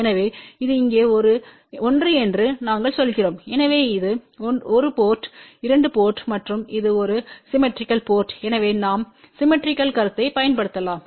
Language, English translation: Tamil, So, we say that this one here is 1 so this will be 1 port, 2 port and this is a symmetrical port, so we can apply the concept of the symmetry